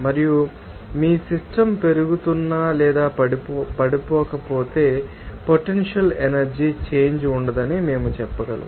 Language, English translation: Telugu, And if your system is not rising or falling, we can say that there will be no potential energy change